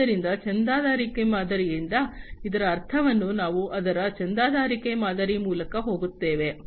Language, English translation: Kannada, So, we will go through it, you know what it means by the subscription model so subscription model